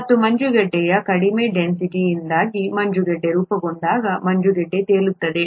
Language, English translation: Kannada, And when ice forms because of the lower density of ice, ice floats